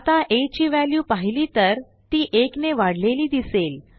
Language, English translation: Marathi, Now if we see the value of a here, it has been incremented by 1